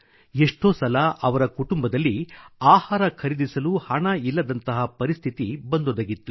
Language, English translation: Kannada, There were times when the family had no money to buy food